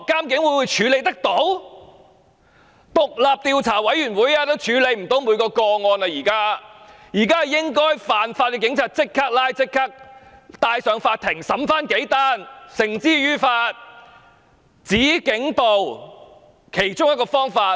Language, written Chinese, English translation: Cantonese, 現在即使成立獨立調查委員會，也無法處理所有個案，現時應該即時拘捕違法的警員，由法庭審理，把他們繩之於法，這是"止警暴"的其中一種方法。, Even if an independent commission of inquiry is set up now it cannot handle all the cases . Now we should immediately arrest those lawbreaking police officers bring them to trial by the court and bring them to justice . This is one of the means to stop police brutality